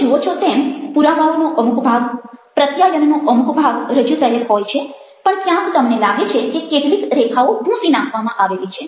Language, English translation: Gujarati, you see a part of the evidence, a part of the communication is presented, but somewhere you find that the lines have been erased